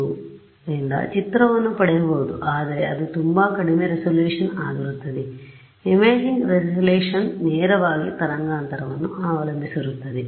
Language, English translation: Kannada, So, I will get an image, but it will be very lower resolution right the imaging resolution is dependent depends directly on the wavelength right